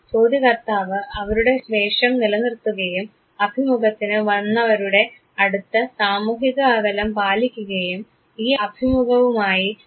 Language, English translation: Malayalam, The interviewer of course, maintains their role and social distance from the interviewee and then you go ahead with this very interview